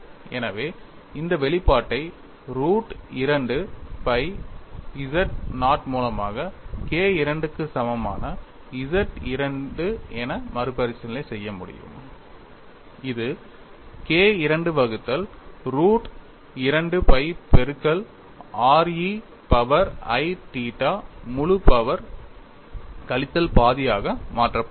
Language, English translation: Tamil, So, I can recast this expression as Z 2 equal to K 2 by root of 2 pi z naught which could be modified as K 2 by root of 2 pi multiplied by r e power i theta whole power minus half